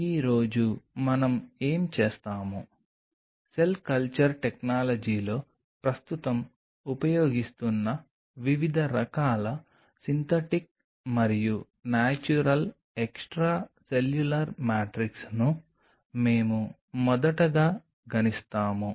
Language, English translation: Telugu, Today what we will do; we will first of all enumerate the different kind of synthetic and natural extracellular matrix which are currently being used in the cell culture technology